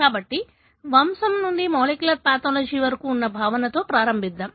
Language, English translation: Telugu, So, let's start with the concept that is from pedigree to molecular pathology